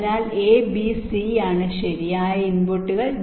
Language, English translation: Malayalam, so a, b, c are the inputs right